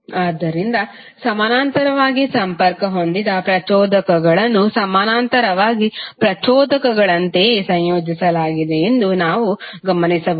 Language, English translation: Kannada, So what we can observe, we can observe that inductors which are connected in parallel are combined in the same manner as the resistors in parallel